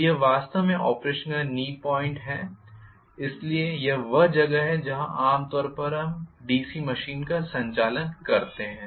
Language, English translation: Hindi, So this is actually knee point of operation okay, so this is the knee point that is where normally we operate the DC machine